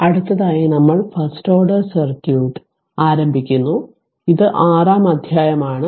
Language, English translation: Malayalam, So next ah next we will start the First order circuit, the this is your chapter 6 right